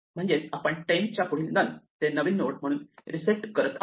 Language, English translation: Marathi, So, we reset next of temp from none to the new node